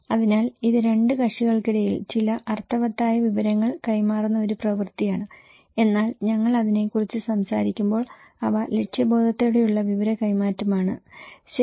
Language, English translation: Malayalam, So, it’s an act of conveying some meaningful informations between two parties but when we are talking about that they are purposeful exchange of informations, okay